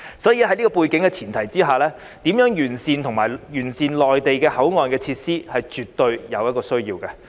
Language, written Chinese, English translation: Cantonese, 所以，在這背景前提下，完善與內地的口岸設施是絕對有需要的。, Therefore against this background and on this premise it is absolutely necessary to improve the facilities of control points between Hong Kong and the Mainland